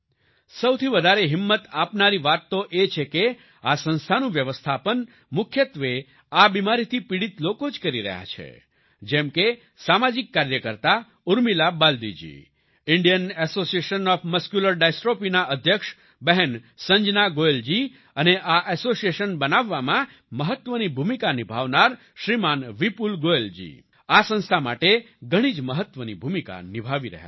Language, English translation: Gujarati, The most encouraging thing is that the management of this organization is mainly done by people suffering from this disease, like social worker, Urmila Baldi ji, President of Indian Association Of Muscular Dystrophy Sister Sanjana Goyal ji, and other members of this association